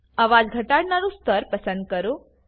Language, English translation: Gujarati, Choose the Noise Reduction Level